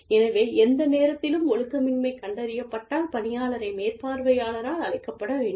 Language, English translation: Tamil, So, anytime, any kind of indiscipline is detected, the employee should be called by the supervisor